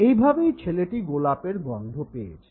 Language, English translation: Bengali, This is how this young boy got the smell of the rose